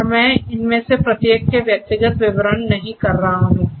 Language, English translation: Hindi, And the I am not going through the individual descriptions of each of these components